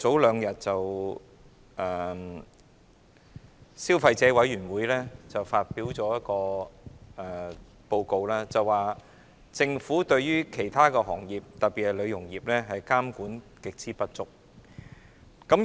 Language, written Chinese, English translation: Cantonese, 兩天前，消費者委員會發表報告，指政府對很多行業特別是美容業的監管極之不足。, Two days ago the Consumer Council released a report saying that the Government has failed to monitor many industries and trades the beauty industry in particular